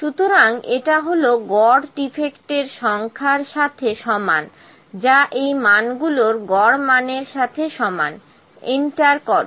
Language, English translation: Bengali, So, this is equal to the average of the defects is equal to average of these values, enter